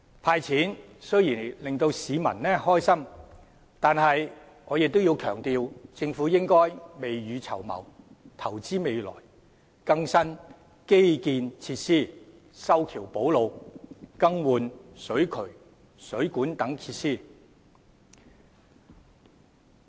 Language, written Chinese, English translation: Cantonese, "派錢"雖然令市民高興，但我亦要強調，政府應未雨綢繆，投資未來，更新基建設施，修橋補路，更換水渠、水管等設施。, While offering a cash handout can please the public I must stress that the Government should prepare for a rainy day and invest for the future by renewing infrastructure facilities carrying out repairs of bridges and roads and replacing facilities such as drainage pipes water mains etc